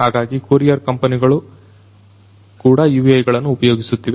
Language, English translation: Kannada, So, courier companies are also using UAVs